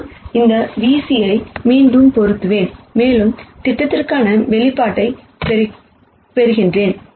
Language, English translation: Tamil, So, I simply plug this v c back in and I get the expression for projection